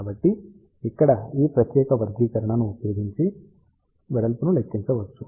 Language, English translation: Telugu, So, width can be calculated using this particular expression over here